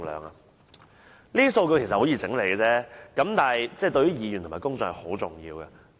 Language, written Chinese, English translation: Cantonese, 這些數據其實十分容易整理，但對議員及公眾是很重要的。, Actually this data can be easily collated but the data are very important to Members and the public